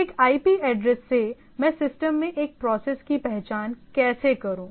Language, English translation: Hindi, By a IP address how do I identify a process in the system